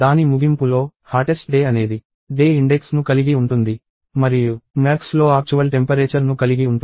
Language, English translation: Telugu, At the end of it, hottest day will have the index of the day and max will contain the actual temperature